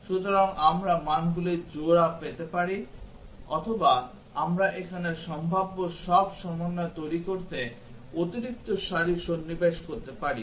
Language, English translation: Bengali, So, that we get the pair of values or we can insert additional rows here to generate all possible combinations